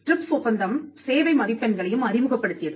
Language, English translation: Tamil, And the TRIPS also saw the introduction of service marks